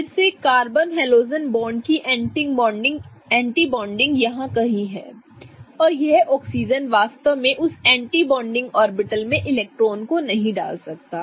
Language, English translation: Hindi, Again, the anti bonding of the carbon halogen bond is somewhere here and this oxygen really cannot put electrons in that particular anti bonding orbital